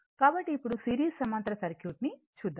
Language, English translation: Telugu, So, now, series parallel circuit so,